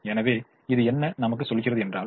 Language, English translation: Tamil, so what does it tell me